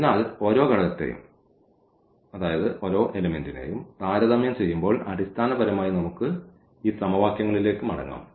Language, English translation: Malayalam, So, comparing the each component we will get basically we will get back to these equations